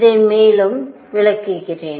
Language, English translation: Tamil, Let me explain further